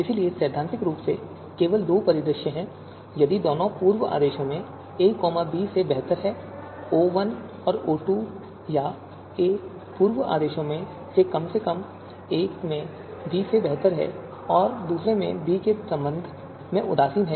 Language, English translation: Hindi, So you know if theoretically there are just two scenarios, if a is better than b in both the pre orders, O1 and O2 or a is better than b in at least one of the pre orders and indifferent with respect to b in the other pre order